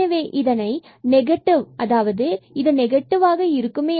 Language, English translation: Tamil, So, this negative positive will make it negative now